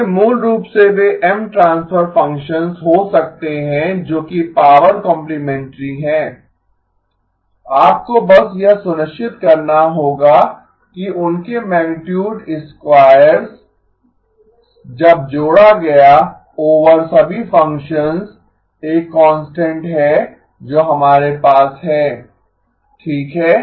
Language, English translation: Hindi, So basically they can be M transfer functions which are power complementary, you just have to make sure that their magnitude squares when added up over all the functions is a constant that we have okay